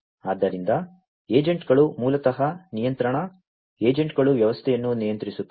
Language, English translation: Kannada, So, the agents basically are control, you know, agents basically control the system